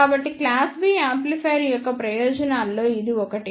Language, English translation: Telugu, So, this is one of the advantage of class B amplifiers